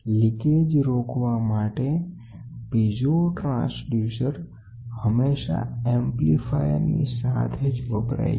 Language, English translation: Gujarati, The piezo transducer are always used in with a charged amplifier to oppose the leakage